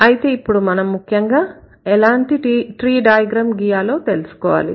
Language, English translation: Telugu, So, now the concern here is how to draw tree diagram